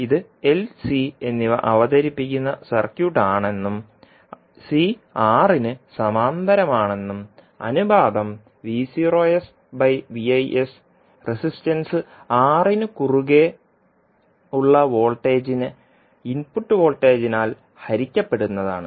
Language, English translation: Malayalam, Now let us say that this is the circuit where L and C are presented and C is in parallel with R and ratio V naught by Vis is nothing but the ratio between voltage across resistance R divided by input voltage